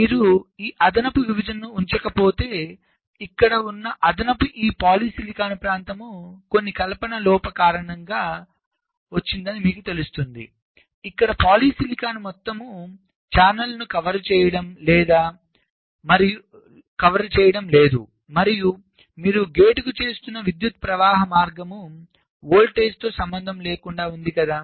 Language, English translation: Telugu, so if you do not keep this extra separation means extra this polysilicon region here, then because of some fabrication error you may land up in a situation like this where the polysilicon is not covering the whole channel and there will be a current flowing path, irrespective of the voltage you are applying to the gate right